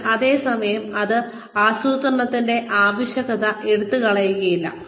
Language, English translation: Malayalam, But, at the same time, it does not take away, the need for planning